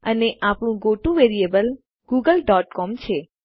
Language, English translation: Gujarati, And our goto variable is google dot com